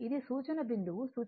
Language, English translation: Telugu, This my reference point reference, current